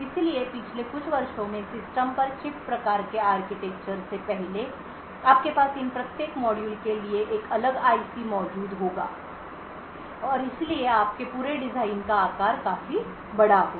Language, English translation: Hindi, So, in prior years previous prior to the System on Chip type of architecture you would have a different IC present for each of these modules and therefore the size of your entire design would be quite large right